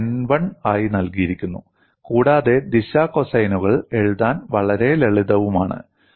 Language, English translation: Malayalam, That is given as n 1 and the direction cosines are very simple to write